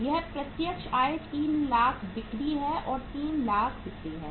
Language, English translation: Hindi, This is direct income 3 lakh sales and this is 3 lakhs sales